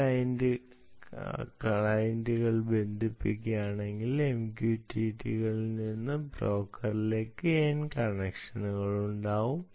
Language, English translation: Malayalam, if there are n clients connecting, there will be a n connections from the m q t t s to the broker